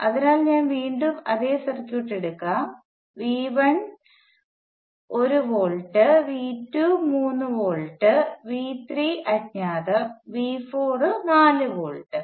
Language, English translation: Malayalam, So let say you know that let me take the same circuit again there is V 1 is 1 volt, V 2 is 3 volts V 3 is unknown and V 4 is 4 volts